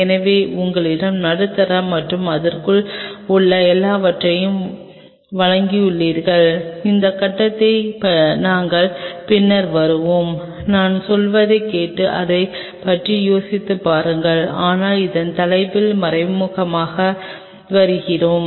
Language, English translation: Tamil, So, you have supply of medium and everything within it, we will come later at this point just listen to me and think over it, but will come systematically on this topic